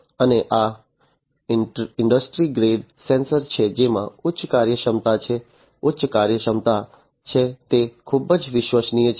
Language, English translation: Gujarati, And these are industry grade sensors these have higher performance, higher efficiency, they can, they are very reliable